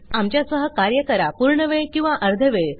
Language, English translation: Marathi, Work with us, full time or part time